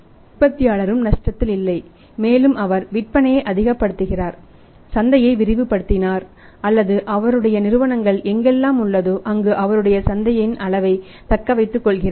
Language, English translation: Tamil, The manufacturer is also not at loss one thing is that his maximizing he sales, he is maximizing is market or the market where he is in companies in that is retaining its market share